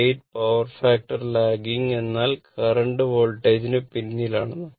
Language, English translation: Malayalam, 8 power factor lagging means that current lags the Voltage right